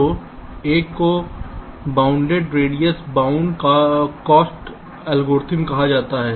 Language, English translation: Hindi, so one is called the bounded radius bounded cost algorithm